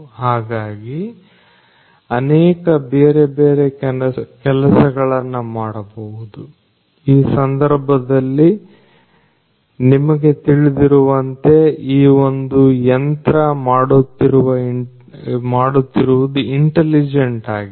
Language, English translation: Kannada, So, lot of different things could be done, but you know at this point what this machine does is intelligently